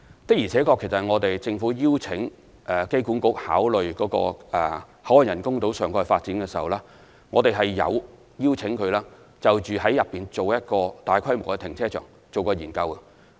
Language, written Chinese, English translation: Cantonese, 的而且確，政府邀請機管局考慮口岸人工島上蓋發展時，有邀請它就建造一個大規模的停車場進行研究。, Indeed when the Government invited AAHK to consider about the topside development of the BCF Island we also asked it to conduct a study on the construction of a large - scale car park